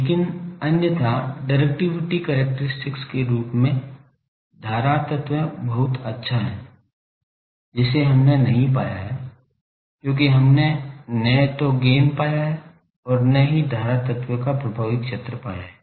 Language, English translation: Hindi, But otherwise as a directive characteristic of current element is very good, that we have not found, because we have neither found the gain nor found the effective area of the current element